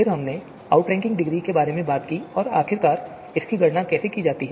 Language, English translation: Hindi, Then we talked about the outranking degree, the you know how it is finally computed